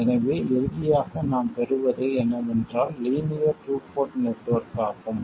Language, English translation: Tamil, So, what we get finally is a linear two port network